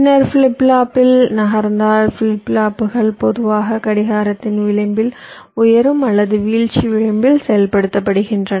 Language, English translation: Tamil, ok, later on, if you move on the flip flopping, as i said, flip flops are typically activated by the edge of the clock, either the rising or the falling edge